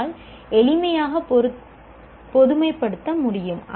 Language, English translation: Tamil, We immediately generalize